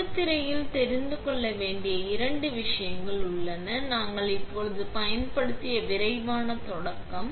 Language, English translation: Tamil, The touchscreen itself there is two things to be aware of, quick start which we just used